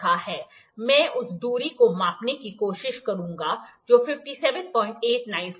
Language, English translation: Hindi, I will try to measure the distance which was 57